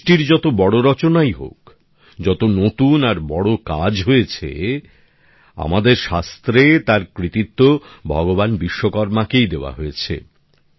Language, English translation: Bengali, Whichever great creations are there, whatever new and big works have been done, our scriptures ascribe them to Bhagwan Vishwakarma